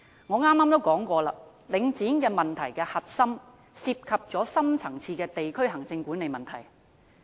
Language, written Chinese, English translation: Cantonese, 我剛才也提到，領展問題的核心涉及深層次的地區行政管理問題。, Earlier on I also mentioned that the core of the Link REIT issue involves deep - rooted problems in district administration